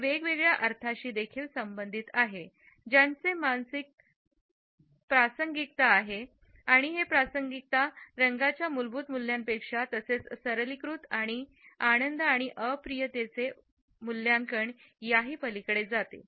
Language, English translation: Marathi, It is also associated with different meanings which have psychological relevance and this relevance goes beyond the intrinsic values of colors as well as beyond the simplistic and superficial appraisals of pleasantness and unpleasantness